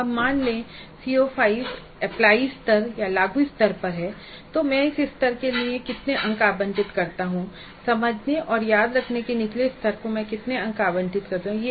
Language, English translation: Hindi, If a C O is at apply level, how many marks do allocate to apply level and how many marks do allocate to the lower levels which is understand and remember